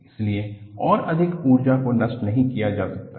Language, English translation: Hindi, So, more energy cannot be dissipated